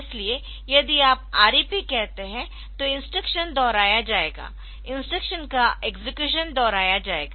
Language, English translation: Hindi, So, if you say REP then the instruction will be repeated, execution of the instruction will be repeated